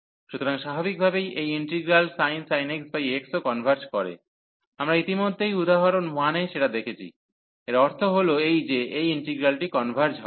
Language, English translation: Bengali, So, naturally this integral also converges sin x over x, we have seen already in example 1, so that means, that this integral converges